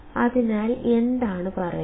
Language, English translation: Malayalam, So, what is said